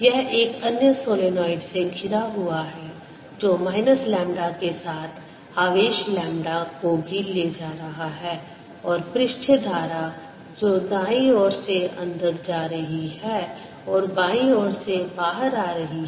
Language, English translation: Hindi, this is surrounded by another solenoid which is also carrying charge lambda, with the minus, minus lambda, and also carries a surface current, say going on the right side, coming out in the left side